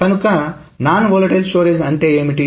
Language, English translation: Telugu, So, what is a non volatile storage